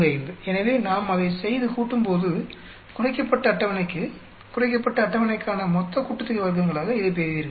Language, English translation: Tamil, 45 so when we do that and add up you will get this as your total sum of squares for this reduced table, for the reduced table